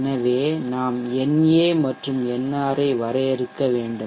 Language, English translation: Tamil, So normally we take it as na as 0 nr as 0